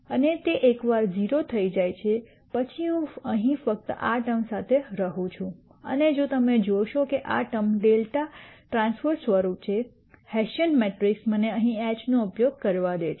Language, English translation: Gujarati, And once that is 0 then I am left with the just this term right here and if you notice this term is of the form delta transpose the hessian matrix let me use H here delta